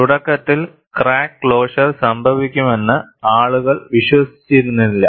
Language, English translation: Malayalam, Initially, people did not believe that crack closure could happen